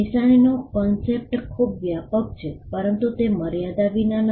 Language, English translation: Gujarati, The concept of a sign is too broad, but it is not without limits